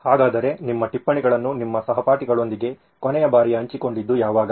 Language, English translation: Kannada, So when was the last time you shared your notes with your classmates